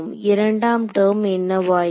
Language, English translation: Tamil, What about the second term